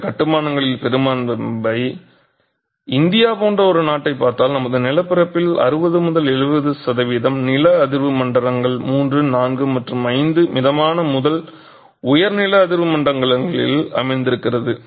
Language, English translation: Tamil, Majority of these constructions, if you look at a country like India, 60 to 70 percent of our land mass is sitting in seismic zones 3, 4 and 5, moderate to high seismic zones